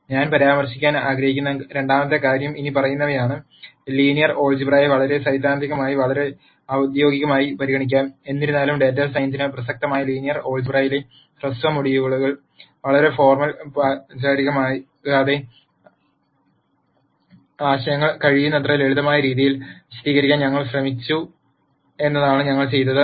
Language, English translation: Malayalam, The second thing that I would like to mention is the following; Linear algebra can be treated very theoretically very formally; however, in the short module on linear algebra which has relevance to data science ,what we have done is we have tried to explain the ideas in as simple fashion as possible without being too formal